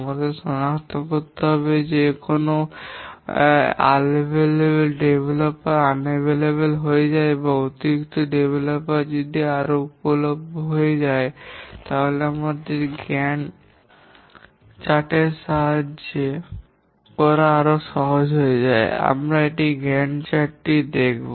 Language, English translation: Bengali, We need to identify what if a developer becomes unavailable or additional developers become available and so on and that becomes easier to do with the help of a Gant chart